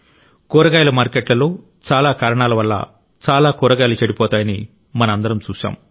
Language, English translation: Telugu, All of us have seen that in vegetable markets, a lot of produce gets spoilt for a variety of reasons